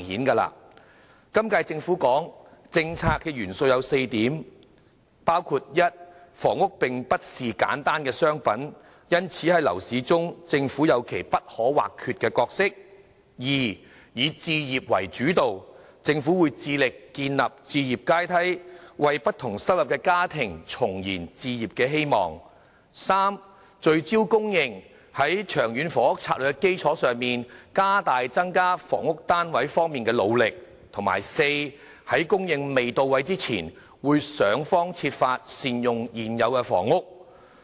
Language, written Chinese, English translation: Cantonese, 今屆政府的政策元素有4點，包括：一房屋並不是簡單的商品，因此在樓市中政府有其不可或缺的角色；二以置業為主導，政府會致力建立置業階梯，為不同收入的家庭重燃置業希望；三聚焦供應，在《長遠房屋策略》的基礎上，加大增加房屋單位方面的努力；及四在供應未到位前，會想方設法善用現有房屋。, The housing policy of the current - term Government comprises the following four elements 1 housing is not a simple commodity thus the Government has an indispensable role to play in this area; 2 the Government will focus on home ownership and strive to build a housing ladder to rekindle the hopes of families in different income brackets to become home owners; 3 the Government will focus on the supply and step up effort in increasing housing units based on the Long Term Housing Strategy LTHS; and 4 while new supply is not yet in place the Government will strive to optimize existing housing resources